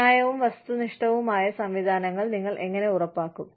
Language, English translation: Malayalam, How do you ensure, fair and objective systems